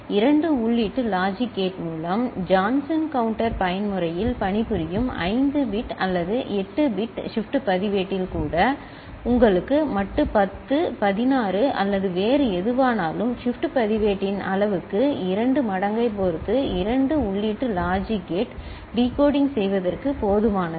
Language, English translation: Tamil, With a two input logic gate, even for 5 bit or 8 bit shift register working in Johnson counter mode giving you modulo 10, 16 or whatever I mean depending on that number twice the shift register siz,e a 2 input logic gate is sufficient for decoding, ok